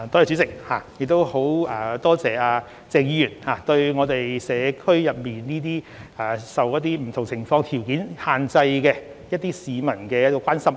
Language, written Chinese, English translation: Cantonese, 主席，很感謝鄭議員對社區一些受不同情況或條件所限制的市民的關心。, President I wish to thank Dr CHENG for his concern about those who are restricted by different circumstances or conditions in the community